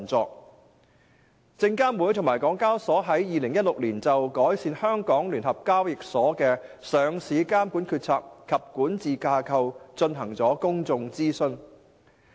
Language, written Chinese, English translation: Cantonese, 證券及期貨事務監察委員會和香港交易及結算所有限公司於2016年就改善香港聯合交易所的上市監管決策及管治架構進行公眾諮詢。, The Securities and Futures Commission SFC and the Hong Kong Exchanges and Clearing Limited HKEX launched a public consultation on enhancements to the Stock Exchange of Hong Kong Limiteds decision - making and governance structure for listing regulation in 2016